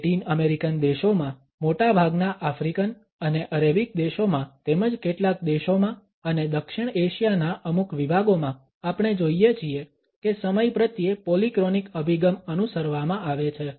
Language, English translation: Gujarati, In Latin American countries, in most of the African and Arabic countries as well as in some countries and certain segments in South Asia we find that a polychronic orientation towards time is followed